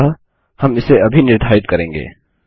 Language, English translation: Hindi, So, we will set it right now